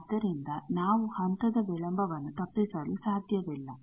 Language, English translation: Kannada, So, we cannot avoid the phase delay